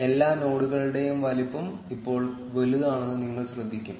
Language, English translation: Malayalam, And you will notice that the size of all the nodes is now bigger